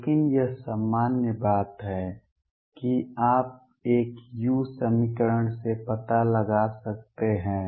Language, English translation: Hindi, But this is general thing that you can find out from a u equation